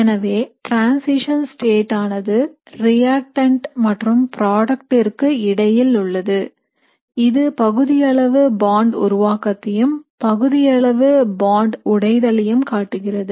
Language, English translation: Tamil, So the position of the transition state is in the middle of your reactant and product which essentially means that you have partial bond formation and partial bond breaking, okay